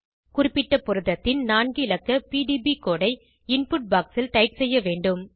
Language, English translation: Tamil, We have to type the four letter PDB code for the particular protein, in the input box